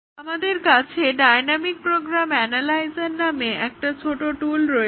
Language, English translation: Bengali, Then, we have a small tool called as a dynamic program analyzer